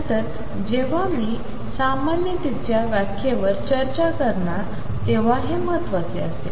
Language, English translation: Marathi, And this will have significance later when I will discuss on interpretation normality is going to be